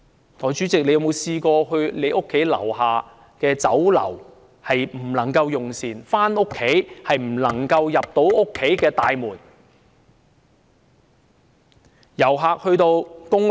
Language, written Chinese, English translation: Cantonese, 代理主席，你曾否試過無法到你家樓下的酒樓用膳，回家時又無法進入你家大廈的大門？, Deputy Chairman have you ever had the experience of being unable to dine at the restaurant on the ground floor of your block and unable to get to the main entrance of your block when you go home?